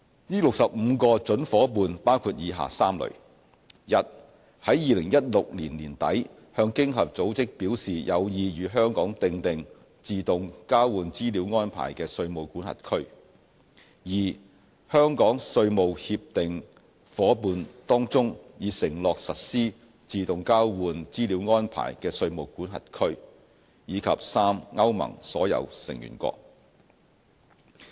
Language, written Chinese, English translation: Cantonese, 這65個準夥伴包括以下3類： a 在2016年年底向經合組織表示有意與香港訂定自動交換資料安排的稅務管轄區； b 香港稅務協定夥伴當中已承諾實施自動交換資料安排的稅務管轄區；及 c 歐盟所有成員國。, The 65 prospective partners fall under the following three categories a jurisdictions which expressed an interest to OECD in late 2016 in conducting AEOI with Hong Kong; b Hong Kongs tax treaty partners which have committed to AEOI; and c all Member States of EU